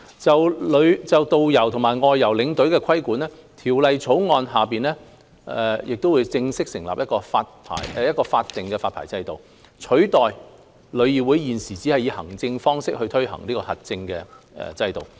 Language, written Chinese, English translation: Cantonese, 就導遊和外遊領隊的規管，《條例草案》會正式設立一個法定發牌制度，取代旅議會現時只以行政方式推行的核證制度。, In relation to regulation of tourist guides and outbound tour escorts the Bill will formally establish a statutory licensing regime to replace the existing accreditation system implemented by TIC through administrative means